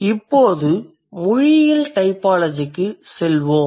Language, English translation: Tamil, Let's move over to the linguistic typology